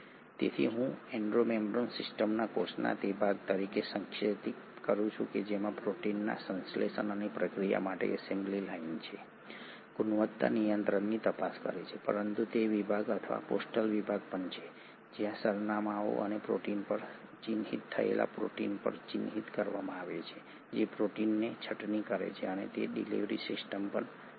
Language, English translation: Gujarati, So I can kind of summarize Endo membrane system as that part of the cell, which has not only the assembly line for synthesising and processing the proteins, checking the quality control, but is also the section or the postal section, where the addresses are marked on the proteins having marked the proteins it ends up sorting the proteins and it is also the delivery system